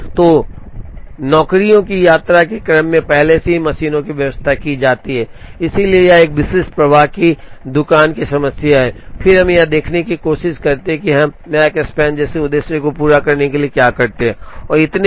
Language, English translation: Hindi, So, the machines are already arranged in the order of visit of the jobs, so this is a typical flow shop problem and then we try to look at, what we do for objectives such as Makespan mean completion time and so on